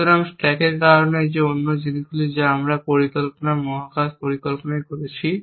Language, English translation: Bengali, So, because of the stack that one other things we are doing in plans space planning is resolve open goals